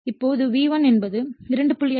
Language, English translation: Tamil, Now, V1 is giveN2